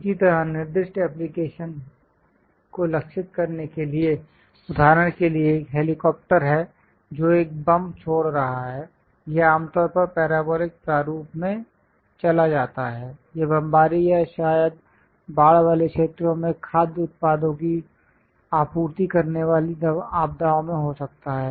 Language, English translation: Hindi, Similarly to target specified application, for example, there is an helicopter which is releasing a bomb; it usually goes in parabolic format, it might be bombed or perhaps in calamities supplying food products to flooded zones